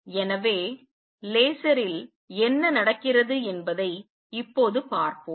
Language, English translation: Tamil, So, let us see now what happens in a laser